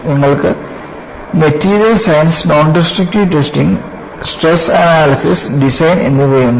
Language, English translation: Malayalam, And, you have Material science, Nondestructive testing, Stress analysis and design